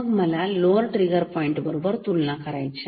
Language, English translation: Marathi, So, I have to compare only with the lower trigger point